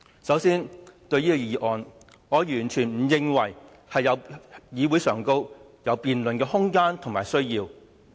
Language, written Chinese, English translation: Cantonese, 首先，對於這項議案，我完全不認為在議會上有辯論的空間和需要。, It is frightening that they acted in such a unison . First of all as regards this motion I absolutely do not consider that there is room and need for such a debate in the Council